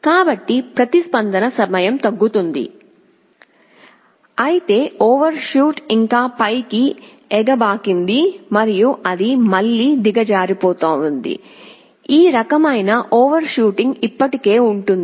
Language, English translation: Telugu, So response time is decreased, but overshoot still remains as it can go up and it can again go down, this kind of overshooting will still be there